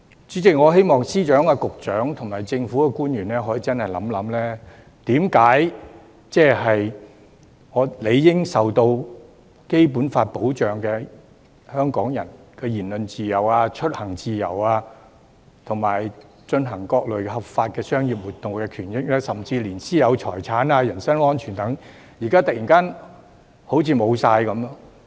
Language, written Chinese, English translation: Cantonese, 主席，我希望司長、局長及政府官員可以認真地想一想，為何理應受《基本法》保障，香港人的言論自由、出行自由和進行各類合法商業活動的權益，甚至連其私有財產和人身安全等保障，現時都好像突然喪失了？, Chairman I hope that the Secretaries of Departments Directors of Bureaux and government officials give some serious thought to why there seems to be a sudden disappearance of Hong Kong peoples freedom of speech freedom of travel and rights and interests in conducting various legitimate commercial activities which are supposedly protected by the Basic Law and even the protection of their private property and personal safety seems to have suddenly vanished